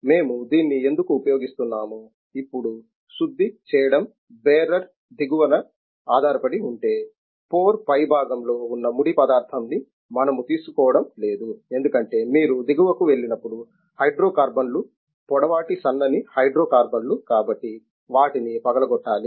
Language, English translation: Telugu, Though why we are using this is if now refining is based upon bottom of the barer, we are not taking the crude which is on the top of the layer because it is when you go to the bottom, the hydro carbons are long thin hydro carbons, therefore they have to be cracked